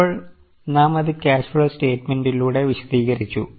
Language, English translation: Malayalam, Now, we have explained it through cash flow statement